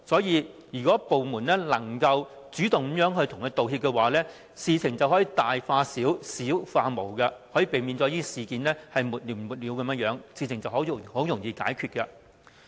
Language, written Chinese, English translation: Cantonese, 因此，如果部門能主動向他們作出道歉，事情便可由大化小，由小化無，可避免沒完沒了的爭議，事情便容易解決。, Therefore if the department concerned can make an apology of its own accord a big problem can thus be turned into a small one and a small one into nothing . In this way protracted disputes can be avoided and problems can be resolved very easily